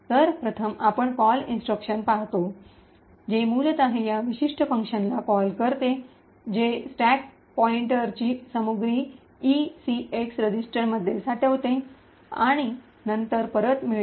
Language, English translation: Marathi, So, first we see the call instruction which are essentially is a call to this particular function over here which stores the contents of the stack pointer into the ECX register and then returns